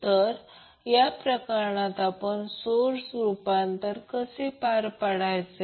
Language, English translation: Marathi, So in this case, how we will carry out the source transformation